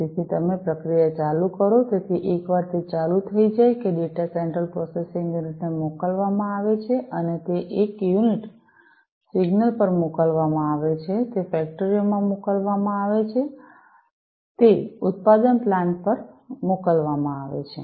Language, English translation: Gujarati, So, you turn on the process so, once it is switched on that data is sent to the central processing unit and it is also sent to one signal is sent unit signal is sent to that factory, the production plant it is sent, right